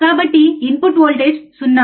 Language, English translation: Telugu, So, input voltage is 0